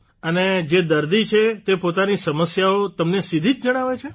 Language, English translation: Gujarati, And the one who is a patient tells you about his difficulties directly